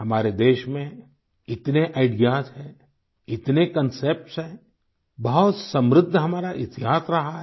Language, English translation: Hindi, Our country has so many ideas, so many concepts; our history has been very rich